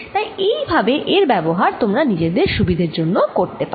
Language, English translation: Bengali, so this is how you can use it powerfully to your advantage